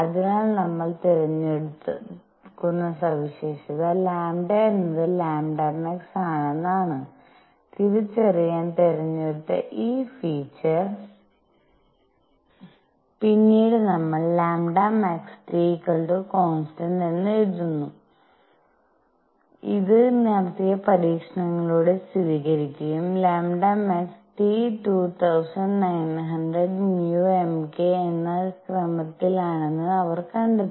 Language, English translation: Malayalam, So, the feature we choose; feature chosen to identify lambda is lambda max and then we write lambda max times T is equal to constant and this was confirmed by experiments carried out and they found that lambda max times T is of the order of 2900 micrometer k